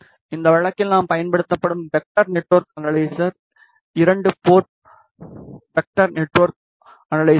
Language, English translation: Tamil, In this case vector network analyzer suing is a two port vector network analyzer